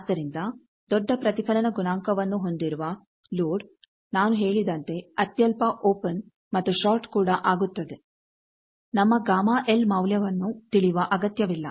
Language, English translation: Kannada, So, a load with large reflection coefficient as I said nominal open and short will do, not necessary to know our gamma L value